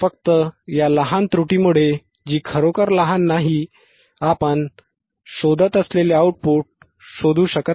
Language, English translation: Marathi, jJust because of this small error, which is not really small, you cannot find the output which you are looking for which you are looking for